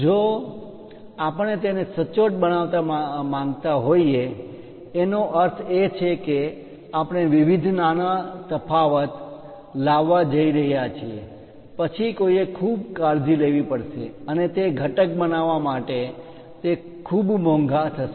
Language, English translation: Gujarati, However, if you want to really make it precise; that means, you are going to make various small variation, then one has to be at most care and to make that component it will be very costly